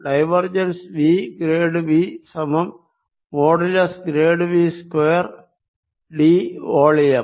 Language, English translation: Malayalam, divergence of v grad v is equal to grad of v mode square d over the volume